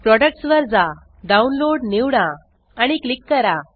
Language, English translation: Marathi, Go to the Products select download and click